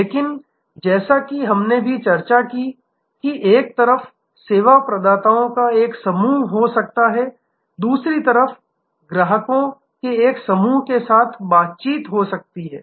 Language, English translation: Hindi, But, as we also discussed, that there can be a constellation of service providers on one side interacting with a constellation of customers on the other side